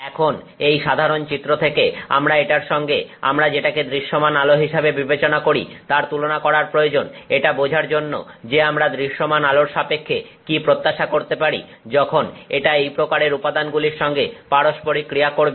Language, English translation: Bengali, Now given this general picture we need to compare this with what we typically consider as visible light to understand what it what is it that we can expect with respect to visible light when it interacts with this range of materials